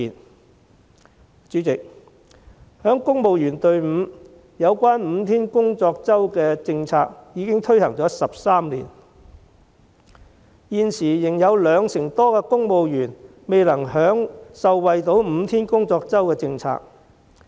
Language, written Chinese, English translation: Cantonese, 代理主席，在公務員隊伍，有關5天工作周的政策已推行了13年，現時仍有兩成多公務員未能受惠5天工作周的政策。, Deputy President the policy on the five - day work week has been implemented for 13 years in the civil service but some 20 % of civil servants have yet to enjoy the five - day work week